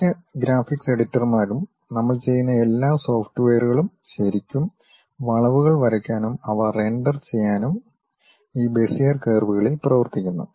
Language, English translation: Malayalam, Most of the graphics editors, the softwares whatever we are going to really draw the curves and render the things works on these Bezier curves